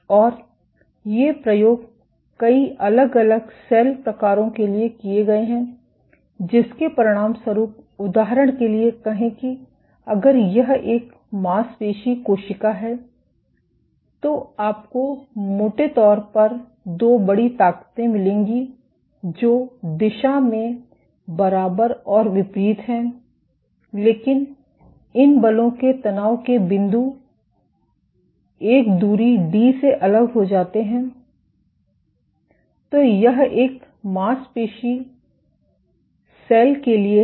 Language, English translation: Hindi, And these experiments have been done for multiple different cell types as a consequence of which say for example, if this is a muscle cell, you would find broadly two big forces which are equal and opposite in direction, but the points of exertion of these forces are separated by a distance d